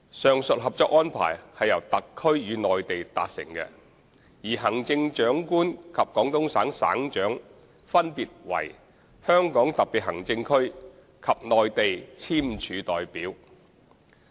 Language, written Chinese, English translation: Cantonese, 上述《合作安排》是由特區與內地達成的，而行政長官及廣東省省長分別為香港特別行政區及內地簽署代表。, The said Co - operation Arrangement was made between HKSAR and the Mainland . The Chief Executive and the Governor of Guangdong Province were the respective signatories of HKSAR and the Mainland